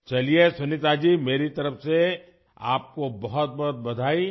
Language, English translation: Urdu, Well Sunita ji, many congratulations to you from my side